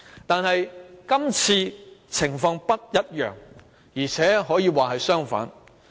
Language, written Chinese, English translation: Cantonese, 但是，今次的情況不一樣，甚至可說是相反。, However this time the situation is different or even contrary to what happened then